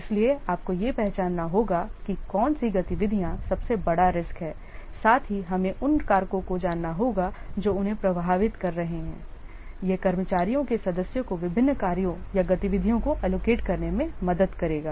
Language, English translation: Hindi, So, identifying the activities which are posing the greatest risks and knowing the factors which are influencing them will help the project manager to allocate the staff